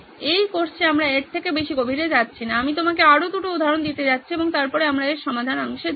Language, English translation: Bengali, In this course we are not going to go deeper into this I am going to give you two more examples and then we will move on to the solve part of it